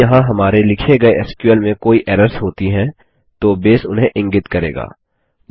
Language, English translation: Hindi, If there are any errors with the SQL we wrote, Base will point them out